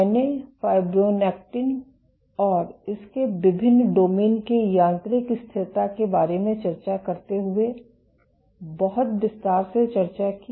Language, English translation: Hindi, I discussed in great detail while discussing about fibronectin and its and the mechanical stability of its different domains